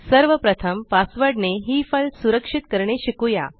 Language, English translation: Marathi, First let us learn to password protect this file